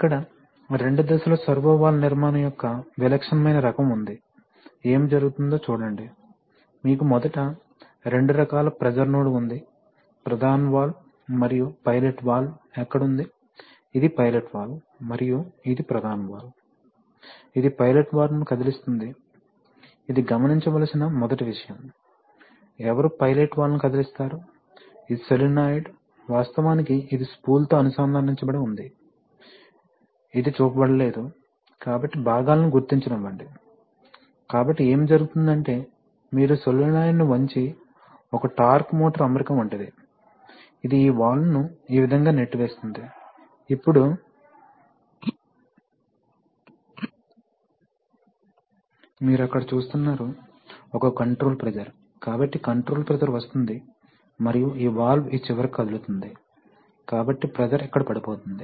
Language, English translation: Telugu, So here is a, here is atypical type of two stage servo valve construction, see what is happening, you have two kinds of pressure node first, so first of all you are, where is the main valve and where is the pilot valve, so this is the pilot valve and this is the main valve, this is the first thing to note, who moves the pilot valve, this solenoid, actually this is connected to the spool, which is not shown, so let us identify the parts, right and so what happens is that, suppose you tilt the solenoid, something like a torque motor arrangement, which we'll see what it is, this will push this valve this way, now you see that there is a, there is a control pressure, so the control pressure will come and this valve will move to this end, so the pressure will fall here, come here and come here and come here and create a pressure here